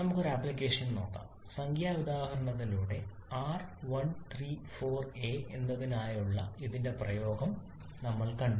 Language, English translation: Malayalam, Let us see an application we have seen the application of this one for R134a through numerical example